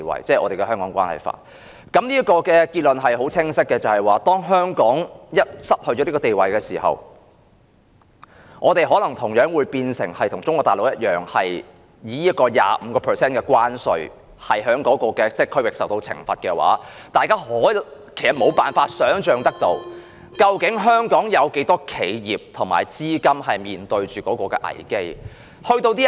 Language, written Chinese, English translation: Cantonese, 這個結論清晰可見，即是當香港失去這個地位時，香港可能同樣變成與中國大陸一樣，以同一區域界定而受到被徵收 25% 關稅的懲罰，大家可以想象得到，究竟香港有多少企業和資金要面對這個危機。, This conclusion is very conspicuous . If Hong Kong loses this status Hong Kong will be classified as being in the same region with Mainland China and thus will be equally subject to the same penalty of a 25 % import tariff . We can imagine the number of enterprises and the amount of capital in Hong Kong facing this crisis